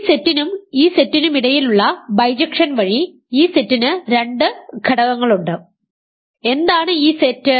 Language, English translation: Malayalam, By the bijection between this set and this set this set has two elements right and what is this set